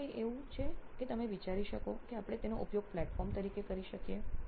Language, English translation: Gujarati, Any other is that you can think off that we can use this as a platform